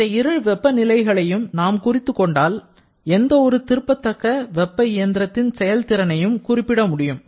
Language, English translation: Tamil, So, once you know these two temperatures, you can calculate the efficiency of any reversible heat engine